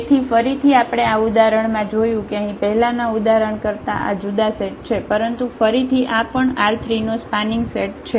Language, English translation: Gujarati, So, again we have seen in this example that this was a different set here from than the earlier example, but again this is also a spanning set of this R 3